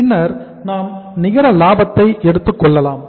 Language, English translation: Tamil, Then we take net profit